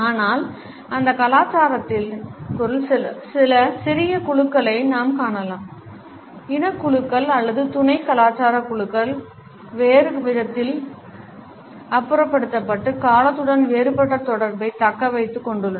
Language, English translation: Tamil, But within that culture we may find some smaller groups for example, ethnic groups or sub cultural groups who are disposed in a different manner and have retained a different association with time